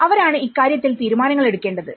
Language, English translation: Malayalam, And they have to take decisions on that